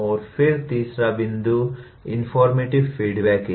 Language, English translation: Hindi, And then third point is informative feedback